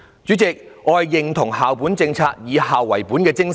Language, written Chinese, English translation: Cantonese, 主席，我認同以校為本的精神。, President I support the spirit of school - based management